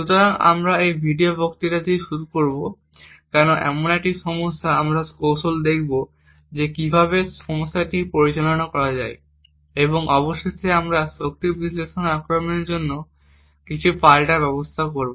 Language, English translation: Bengali, So, we will start of this video lecture with why this is such a problem and we would see a few techniques about how such a problem can be handled and finally we will look at some counter measures for power analysis attacks